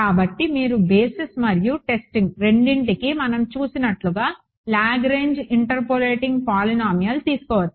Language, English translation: Telugu, So, you can take a Lagrange interpolating polynomial like what we saw for both the basis and testing